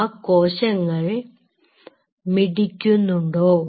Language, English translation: Malayalam, Are those cells in the dish beating